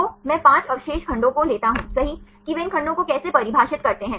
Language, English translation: Hindi, So, I take 5 residue segments right how they define these segments